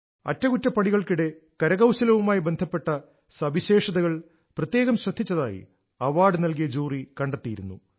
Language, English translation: Malayalam, The jury that gave away the award found that during the restoration, the fine details of the art and architecture were given special care